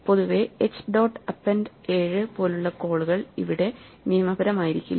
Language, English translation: Malayalam, So, in general the call such as h dot append 7 would not be legal